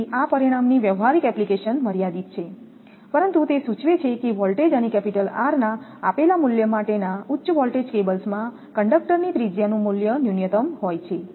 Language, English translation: Gujarati, So, the practical application of this result is limited, but it indicates that in a high voltage cables for a given value of voltage and capital R there is a minimum value of the conductor radius which must be used to keep the E max within limit